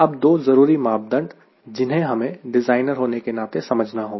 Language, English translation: Hindi, these are two important parameter which we need to understand at the designer